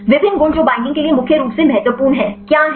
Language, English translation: Hindi, What are the various properties which are mainly important for binding